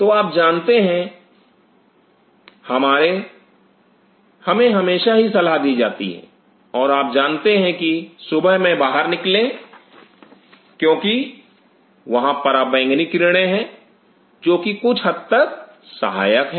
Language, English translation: Hindi, So, you know that our, we are being always advised and you know in the morning go out and because there are u v rays which are slightly helpful